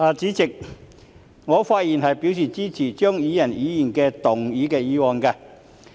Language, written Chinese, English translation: Cantonese, 代理主席，我發言支持張宇人議員的議案。, Deputy President I rise to speak in support of Mr Tommy CHEUNGs motion